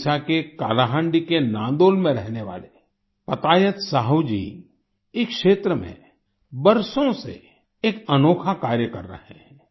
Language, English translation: Hindi, Patayat Sahu ji, who lives in Nandol, Kalahandi, Odisha, has been doing unique work in this area for years